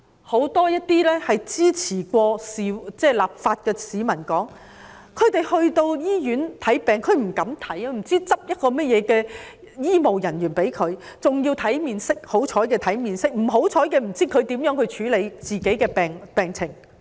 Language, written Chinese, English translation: Cantonese, 很多曾經支持有關立法的市民表示，他們不敢到醫院看病，因為不知道會由怎樣的醫務人員診治，可能要看醫務人員的面色，也擔心他們以何方法處理自己的病情。, Many people who are in support of the legislation concerned say that they dare not go to hospitals for medical treatment because they are not sure about the political views of the medical staff . While they may receive the disdainful look from the medical staff they are also worried about the kind of medical treatment provided by the latter . I have received a message about a police officer who had to be hospitalized